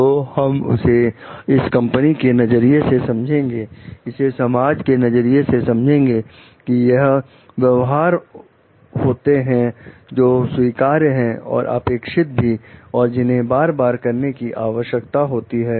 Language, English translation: Hindi, So, we can understand as for the perspective of this company, as for the perspective of the society, these are the behaviors, which are acceptable and desirable, and which needs to be repeated